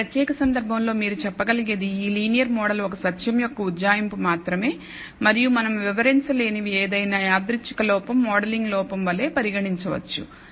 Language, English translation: Telugu, In this particular case where you can say this linear model is only an approximation of the truth and anything that we are not able to explain perhaps can be treated like a random error modeling error